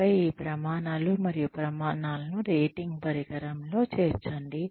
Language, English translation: Telugu, And, then incorporate these standards and criteria, into a rating instrument